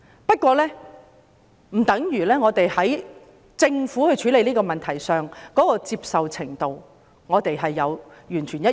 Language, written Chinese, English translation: Cantonese, 不過，這不等於我們對政府處理這個問題的手法的接受程度完全一致。, However this does not mean we have the same level of acceptance of the Governments approach in the incident